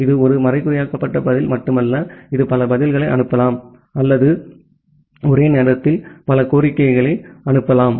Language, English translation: Tamil, This is not only one encrypted response, it can send multiple responses or multiple requests simultaneously